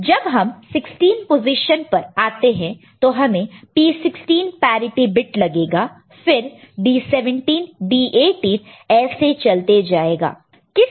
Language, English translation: Hindi, And here whenever 16 position comes, right we have to introduce a parity bit P 16 and then again D 17, D 18 will continue